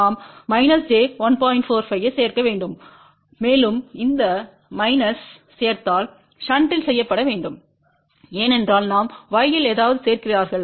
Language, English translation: Tamil, 45 to this and that minus addition has to be done in shunt because we are adding something in y